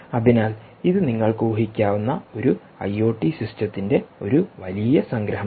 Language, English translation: Malayalam, so this is a big summary of a nice i o t system that you can imagine